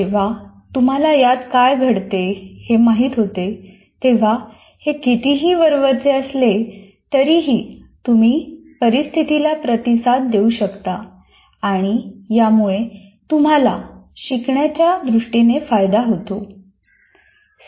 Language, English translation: Marathi, So when you understand what is happening inside, however superficially, you will be able to react to that situation and see that you benefit from that in terms of learning